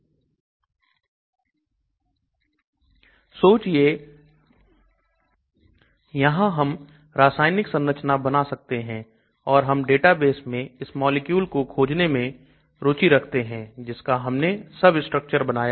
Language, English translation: Hindi, Imagine I am drawing a structure and here I can draw a chemical structure and so I am interested to look at molecules in the database which has got this substructure